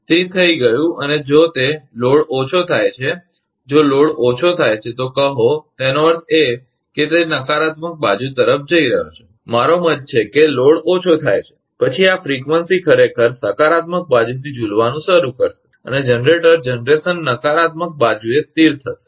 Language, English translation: Gujarati, So, done and if it is a load decreases, if load decreases, say; that means, it is going to the negative side, I mean load decreases, then this frequency actually will start swinging from the positive side and generator generation will settle to the negative side